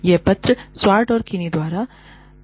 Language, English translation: Hindi, This is the paper, by Swart and Kinnie